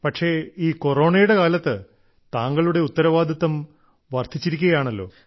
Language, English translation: Malayalam, But during these Corona times, your responsibilities have increased a lot